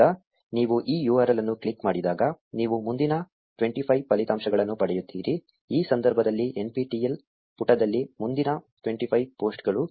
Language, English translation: Kannada, Now when you click on this URL you get the next 25 results, which is a next 25 posts on the NPTEL page in this case